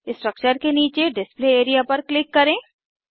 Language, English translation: Hindi, Click on the Display area below the structure